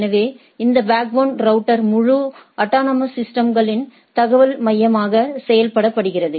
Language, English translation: Tamil, So, this backbone router acts as the information hub for the whole autonomous system